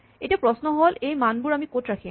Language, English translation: Assamese, Now, the question is where do we keep these values